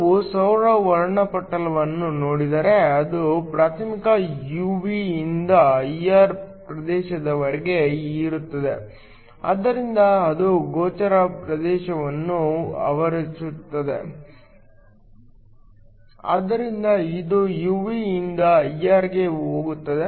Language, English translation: Kannada, If we look at the solar spectrum it primarily ranges from the UV to the IR region so it encloses the visible region, so it goes from UV to IR